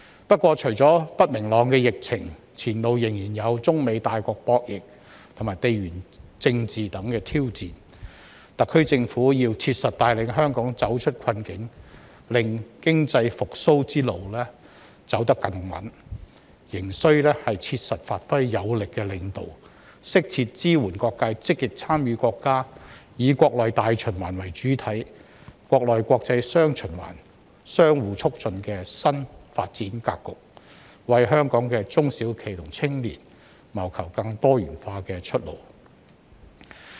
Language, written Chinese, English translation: Cantonese, 不過，除了不明朗的疫情，前路仍然有中美大國博弈和地緣政治等挑戰，特區政府要切實帶領香港走出困境，令經濟復蘇之路走得更穩，還須切實發揮有力領導，適切支援各界積極參與國家"以國內大循環為主體、國內國際雙循環相互促進"的新發展格局，為香港的中小型企業和青年謀求更多元化的出路。, However apart from the uncertain epidemic situation there are other challenges ahead such as conflicts between the two super powers of China and the United States US and geopolitics . The SAR Government must effectively lead Hong Kong out of difficulties so that it can walk more steadily on the road to economic recovery . It must also give full play to its strong leadership and appropriately support all sectors to actively participate in the countrys new development pattern which takes the domestic market as the mainstay while enabling domestic and foreign markets to interact positively with each other as well as seek more diversified development pathways for small and medium enterprises SMEs and young people of Hong Kong